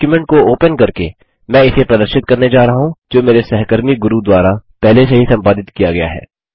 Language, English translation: Hindi, I am going to demonstrate this by opening a document, which has already been edited by my colleague Guru